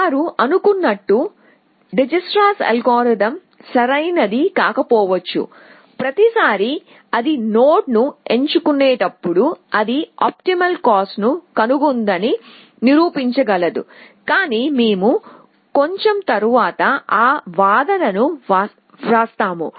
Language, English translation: Telugu, They may not necessarily be optimal though for diastral algorithm one can argue and prove that every time it picks a node it has found an optimal cost for that, but we will come back to that argument a little bit later